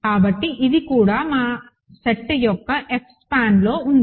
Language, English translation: Telugu, So, this is also in F span of our set